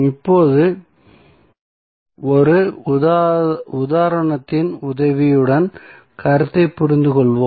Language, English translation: Tamil, Now, let us understand the concept with the help of one example